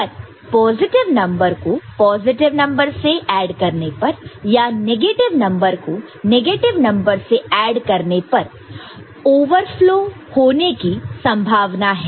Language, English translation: Hindi, So, positive number added with positive and negative number added with negative, there could be possible cases of overflow